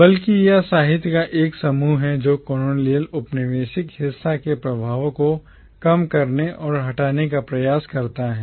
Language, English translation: Hindi, Rather it is a grouping of literature which attempts to subvert and undo the effects of colonial violence